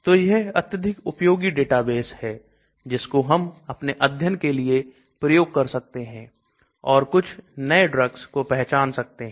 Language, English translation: Hindi, So this is a very useful database we can use for our study and you want to identify some new drugs